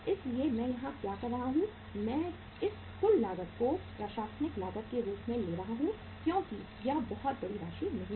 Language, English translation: Hindi, So what I am doing here, I am taking this total cost as the administrative cost because it is not a very big amount